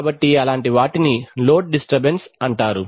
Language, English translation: Telugu, So such things are called load disturbances